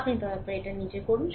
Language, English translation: Bengali, You please do it of your own